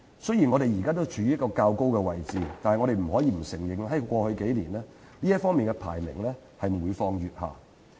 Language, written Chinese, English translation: Cantonese, 雖然本港的營商環境仍然處於較高位置，但我們不能否認，在過去數年，這方面的排名每況愈下。, While Hong Kong takes a high place in terms of business environment we cannot deny that its ranking in this regard has been trending lower over the past several years